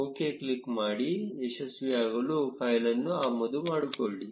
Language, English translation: Kannada, Click on ok to successfully import the file